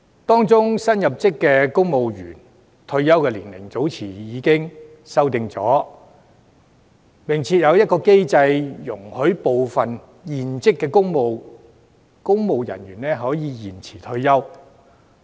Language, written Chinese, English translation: Cantonese, 當中新入職公務員的退休年齡早前已作出修訂，並設有機制容許部分現職公務員延遲退休。, The retirement age for civil servant new recruits has been revised earlier on with a mechanism for serving civil servants to extend their service